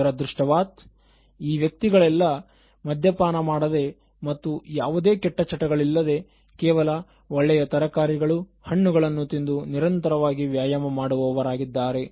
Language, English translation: Kannada, And unfortunately, these are those people who are like teetotalers and they never had any bad habits and they were eating only good vegetables and fruits, doing regular exercise and then what went wrong